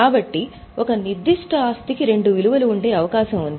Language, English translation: Telugu, So, there is a possibility that a particular asset can have two values